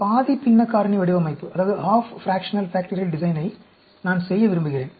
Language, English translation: Tamil, I want to do a half fractional factorial design